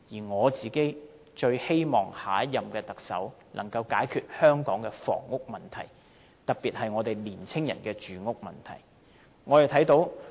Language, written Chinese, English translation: Cantonese, 我最希望下一任特首能夠解決香港的房屋問題，特別是年青人住屋問題。, My foremost expectation for the next Chief Executive is to resolve Hong Kongs housing problem especially for the young people